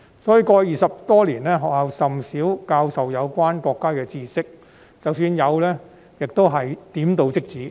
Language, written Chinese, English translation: Cantonese, 因此，過去20多年，學校甚少教授有關國家的知識，即使有，亦只是點到即止。, As a result schools rarely taught students anything about our country in the past two decades . Even if they did they would not go too far